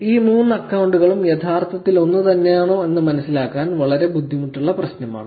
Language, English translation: Malayalam, If you were to understand whether these three accounts are actually same is actually a very hard problem